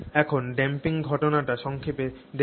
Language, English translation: Bengali, So let's look briefly also at the damping phenomenon